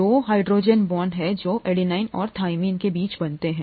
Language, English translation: Hindi, There are two hydrogen bonds that are formed between adenine and thymine